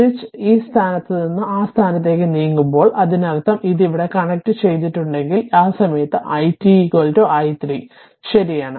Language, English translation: Malayalam, And as soon as switch moves from this position to that position I mean, if the switch is moving from this to that; that means, if it is connected here and it is not there, at that time i t is equal to i 0 right